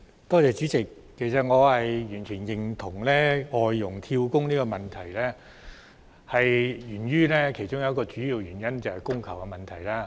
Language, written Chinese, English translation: Cantonese, 代理主席，其實我完全認同造成外傭"跳工"的其中一個主要原因，是供求失衡。, Deputy President in fact I completely agree that one of the main causes for job - hopping of FDHs is the supply - demand imbalance